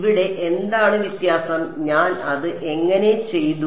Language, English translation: Malayalam, Here what was the difference how did I do it